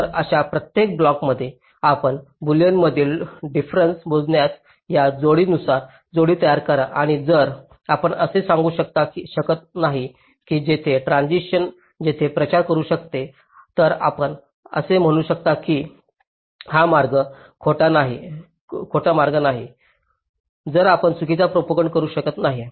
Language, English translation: Marathi, so across every such blocks, pair wise, if you compute the boolean difference and if you cannot establish that a transition here can propagate, here you can say that this path is not false